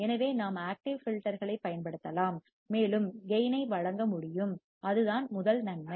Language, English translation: Tamil, So, we can use the active filter, and we can provide the gain, that is the advantage number one